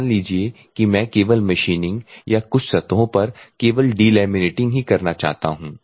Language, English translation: Hindi, I assume that I want to do the machining only or delaminating only on surfaces or something